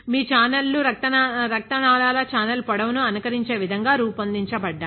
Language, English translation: Telugu, Your channels are also designed to be mimicking the channel length of the blood vessels